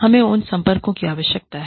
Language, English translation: Hindi, We need to have, those contacts